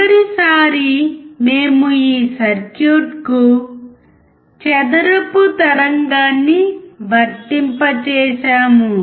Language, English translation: Telugu, Last time, we applied square wave to this circuit